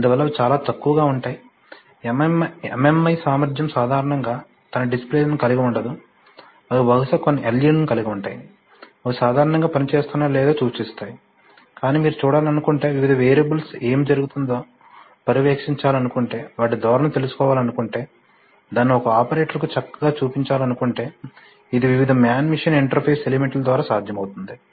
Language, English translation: Telugu, So, so as such they have very little, you know MMI capability they do not have generally contain displays by themselves, they will probably contain some LEDs which will just indicate whether they're, whether they’re functioning normally or not, but if you want to visualize, if you want to monitor what is happening to the various variables, if you want to trend them, show it nicely to a, to an operator, it is possible through the various man machine interface elements